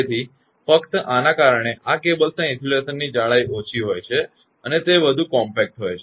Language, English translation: Gujarati, So, because of this thing only; so these cables have lesser insulation thickness and are more compact